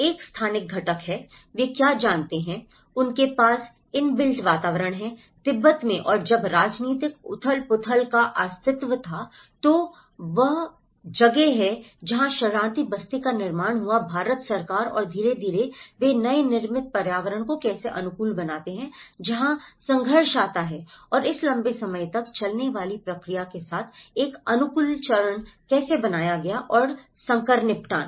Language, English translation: Hindi, One is a spatial component, what they know, what they have inbuilt environment in Tibet and when the political turmoil existed, then that is where the refugee settlement built by the Indian government and gradually, how they adapt the new built environment that is where the conflicts arrives